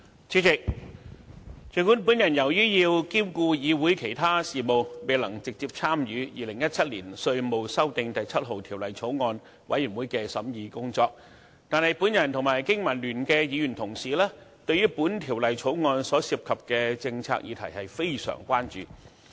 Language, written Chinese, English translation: Cantonese, 主席，儘管我要兼顧議會其他事務，未能直接參與《2017年稅務條例草案》委員會的審議工作，但我和香港經濟民生聯盟的議員同事對於《條例草案》所涉及的政策議題非常關注。, President although I have to attend to other business of the Council and have not been able to participate directly in the scrutiny of the Inland Revenue Amendment No . 7 Bill 2017 the Bill I and my colleagues from the Business and Professionals Alliance for Hong Kong BPA are highly concerned about the policy initiative of the Bill